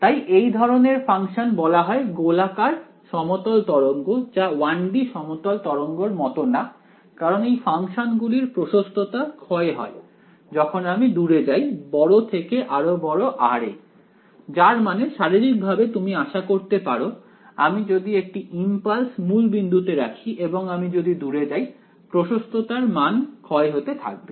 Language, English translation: Bengali, So, these kinds of functions are what are the called they are spherical plane waves unlike 1 D plane waves the amplitude of these functions it decays as you go away from at larger and larger r, which is physically what you expect, if I place a impulse at the origin if I go away amplitude should decay right